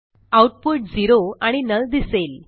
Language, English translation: Marathi, We see the output zero and null